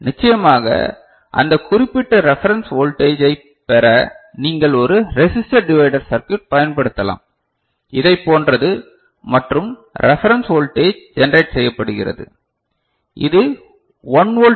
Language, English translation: Tamil, And to get that particular reference voltage of course, you can use a resistor divider circuit, something like this right and generate reference voltage which is 1 volt DC ok